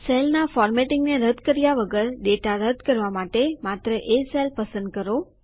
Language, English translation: Gujarati, To delete data without removing any of the formatting of the cell, just select a cell